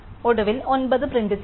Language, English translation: Malayalam, And finally, will print 9